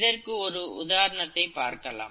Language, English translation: Tamil, Let me give you an example